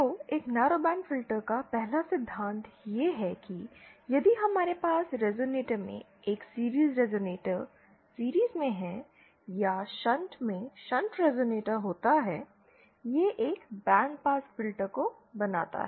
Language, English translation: Hindi, So the 1st principle of a narrowband filter is that if we have a series resonator in series or shunt resonate in shunt, this gives rise to a band pass filter